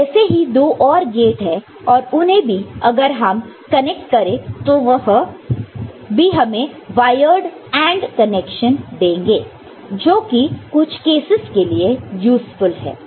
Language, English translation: Hindi, So, these two another such gates is there right and you just connect it over here it will give you a wired AND connection which is also useful in some cases